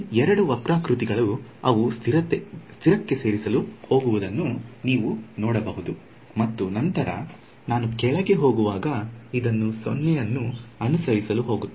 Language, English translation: Kannada, You can see that these two curves they are going to add to a constant and then, as I go down it is going to follow this all the way to 0